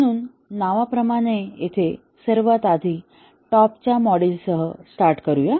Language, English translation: Marathi, So here as the name implies start with the top most module